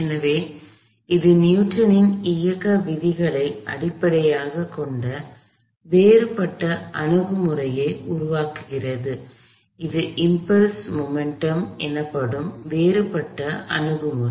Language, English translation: Tamil, So, that gives rise to a different approach, still based on Newton’s laws of motion, but a different approach called impulse momentum